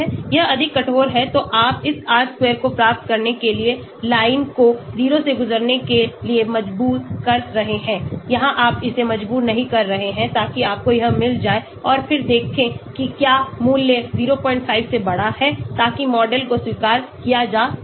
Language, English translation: Hindi, This is more stringent so you are forcing the line to pass through the 0 to get this r square, here you are not forcing it so you get this and then see whether the value is>0